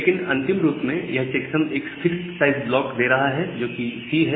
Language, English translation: Hindi, But ultimately this checksum is giving you a fixed size code that is the C